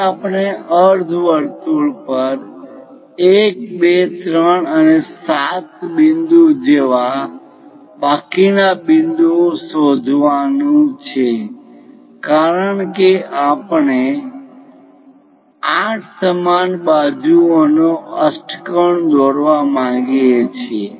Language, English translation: Gujarati, Now, we have to locate the remaining points like 1, 2, 3 and so on 7 points on the semicircle because we would like to construct an octagon of 8 equal sides